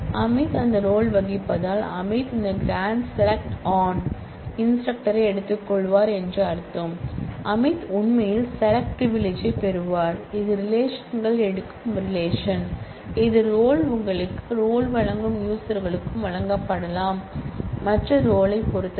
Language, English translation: Tamil, And since Amit plays that role it will mean that Amit with this grant select on takes to instructor, Amit will actually get a privilege of select on takes relation that is the kind of derived structure that roles give you roles can be granted to users as well as to other roles